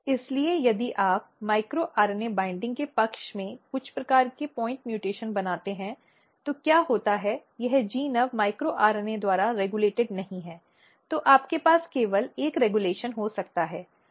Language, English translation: Hindi, So, if you create some kind of point mutation at the side of micro RNA binding, then what happens this gene no longer will regulated by micro RNA, then you can have only one regulation